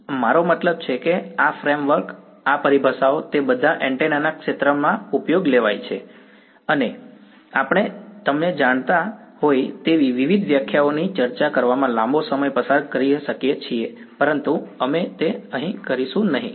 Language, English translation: Gujarati, This, I mean this framework these terminologies they are all used in the field of antennas ok, and we can spend a long time discussing various definitions you know, but we shall not do that here ok